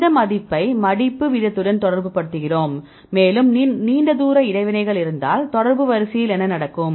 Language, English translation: Tamil, So, then we relate that value with the folding rate if there are more long range interactions, what will happen to the contact order